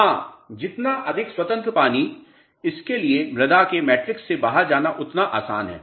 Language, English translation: Hindi, Yes, more free water, easy for it to go out of the soil matrix